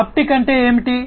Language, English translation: Telugu, Haptic means what